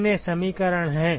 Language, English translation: Hindi, How many equations are there